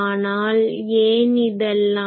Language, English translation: Tamil, Now, why these